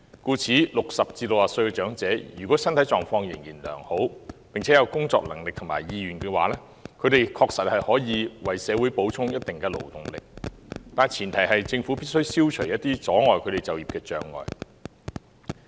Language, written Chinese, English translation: Cantonese, 故此 ，60 歲至64歲的長者，如果身體狀況仍然良好，並且有工作能力和意願，他們確實可以為社會補充一定的勞動力，但前提是政府必須消除一些阻礙他們就業的障礙。, In view of this insofar as elderly persons aged between 60 and 64 are concerned if their physical conditions are still good and they have the ability and wish to work they can indeed supplement the labour force somewhat . However the prerequisite is that the Government must remove some of the hurdles that hinder them from taking up employment